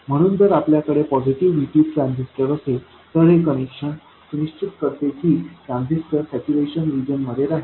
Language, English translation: Marathi, So, if we have a positive VT transistor, this connection ensures that the transistor remains in saturation region